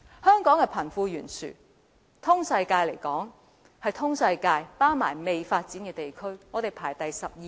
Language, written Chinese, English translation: Cantonese, 香港的貧富懸殊在全球——全球包括未發展地區——排行第十二、十三位。, Hong Kong is ranked the 12 or 13 around the world including underdeveloped regions in terms of the gap between the rich and the poor